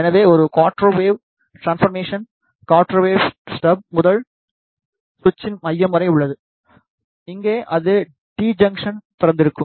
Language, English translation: Tamil, So, one quarter wave transformer is from the quarter wave step to the centre of the switch, here it is open